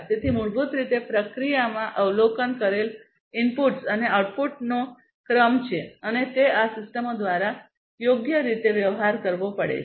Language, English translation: Gujarati, So, basically there is a sequence of observed inputs and outputs in the process and that has to be dealt with by these systems suitably